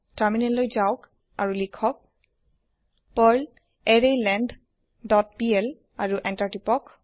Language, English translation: Assamese, Switch to terminal and type perl arrayLength dot pl and press Enter